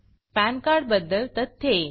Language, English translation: Marathi, Facts about pan card